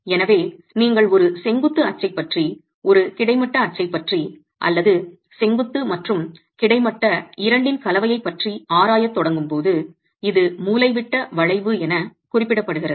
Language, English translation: Tamil, So, when you start examining the bending behavior about a vertical axis, about a horizontal axis or a combination of both vertical and horizontal which is referred to as diagonal bending, two parameters become important